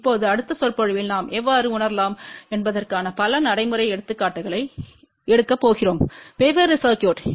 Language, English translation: Tamil, Now, in the next lecture we are going to take several practical examples of how to realize different circuits